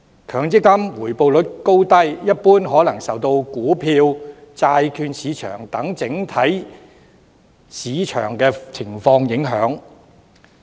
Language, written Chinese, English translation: Cantonese, 強積金回報率高低，一般可能受到股票、債券市場等整體市況影響。, The levels of MPF returns are generally affected by the overall market conditions of the stock and bond markets